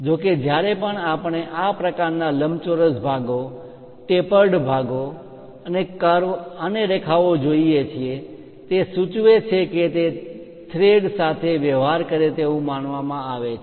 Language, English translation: Gujarati, But whenever we see this kind of rectangular portions, a tapered ones and a kind of slight ah curve and lines it indicates that its supposed to deal with threads